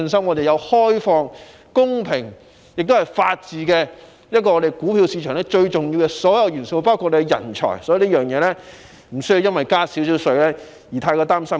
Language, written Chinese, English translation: Cantonese, 我們有開放、公平的制度，亦具備法治及人才，這些都是股票市場最重要的元素，所以無需因稍為加稅而過於擔心。, Not only do we have an open and fair system but also the rule of law and talents . These are the most important elements of the stock market and we need not worry too much about a slight increase in Stamp Duty